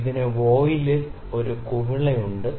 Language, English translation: Malayalam, It has a bubble in the voile